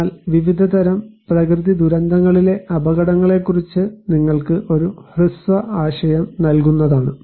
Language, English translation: Malayalam, But just to give you a brief idea about the types of hazards in natural disasters